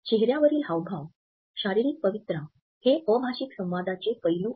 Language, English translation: Marathi, So, facial expressions, our gestures, our postures these aspects of nonverbal communication